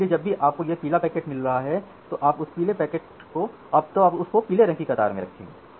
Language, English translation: Hindi, So, whenever you are getting a yellow packet you are putting it in the yellow queue